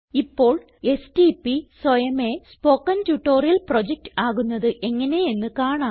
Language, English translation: Malayalam, So let us see how an abbreviation like stp gets automatically converted to Spoken Tutorial Project